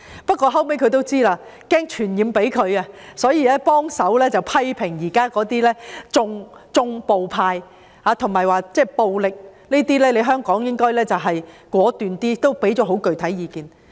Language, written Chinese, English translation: Cantonese, 不過，後來它也擔心"傳染"到當地，所以也批評現時那些"縱暴派"，並表示香港應該果斷處理暴力，也提供很具體的意見。, However out of worry about possible contagion to the local community it subsequently criticized the existing violence - condoning camp and said that Hong Kong should deal decisively with violence providing very specific advice as well . Anyway I have to get back to taxation